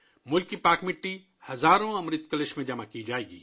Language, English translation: Urdu, The holy soil of the country will be deposited in thousands of Amrit Kalash urns